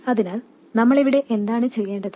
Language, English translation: Malayalam, So, what do we need to do here